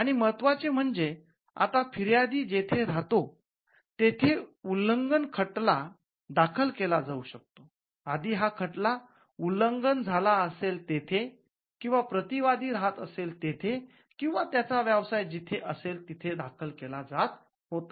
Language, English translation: Marathi, And importantly now an infringement suit can be filed where the plaintiff resides so, earlier it had to be where the infringement occurred or where the defendant resided or carried his business now it could be anywhere where the plaintiff resides